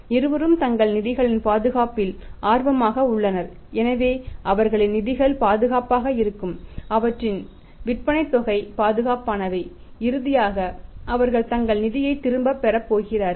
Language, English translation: Tamil, Both are interested into the safety of their funds so their funds are safe their sales amounts are safe and finally they are going to get their funds back everybody is interested in that